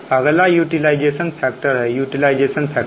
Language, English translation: Hindi, next is utilization factor